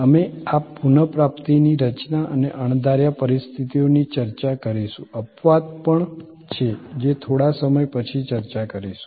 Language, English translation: Gujarati, We will discuss this recovery mechanisms and unforeseen situations, exception also a little later when we discuss